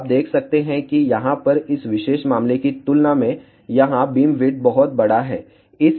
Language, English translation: Hindi, So, you can see that here beamwidth is much larger compared to this particular case over here